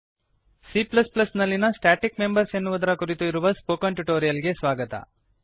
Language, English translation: Kannada, Welcome to the spoken tutorial on static members in C++